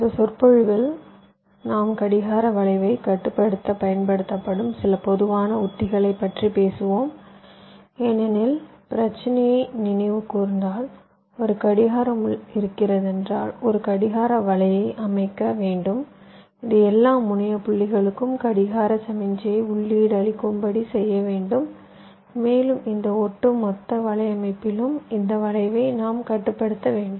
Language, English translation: Tamil, so in this lecture we shall be talking about some general strategies used to control the clock skew, because ultimately our problem, if you recall, we said that from a clock pin we have to layout a clock net which will be feeding the clock signal to all the terminal points and we have to control this skew in this overall network